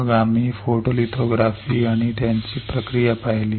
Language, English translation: Marathi, Then we have seen photolithography and its process